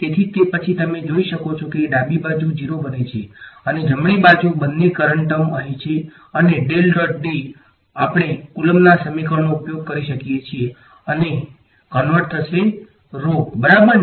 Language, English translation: Gujarati, So, that is it then you can see the left hand side becomes 0 and the right hand side has both the current term over here and del dot D; del dot D we can use our Coulomb’s equation and converted to rho right